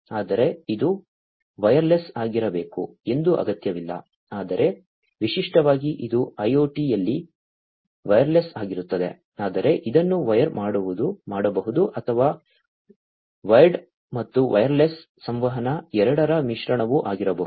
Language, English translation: Kannada, But it is not necessary that it has to be wireless, but typically, it is wireless in IOT, but it can be wired as well or, it can be a mix of both wired and wireless communication